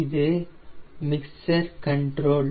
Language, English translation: Tamil, this is my mixture control